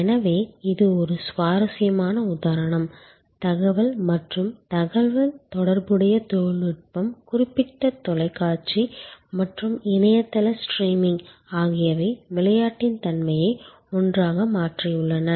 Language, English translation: Tamil, So, this is an interesting example, where information and communication technology particular TV and internet streaming at that facilities have change the nature of the game all together